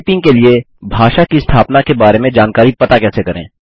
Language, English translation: Hindi, Get to know information about setting language for typing